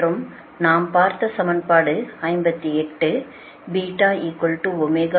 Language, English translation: Tamil, this is equation seventy eight